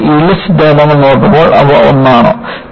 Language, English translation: Malayalam, And, when you look at the yield theories, are they just one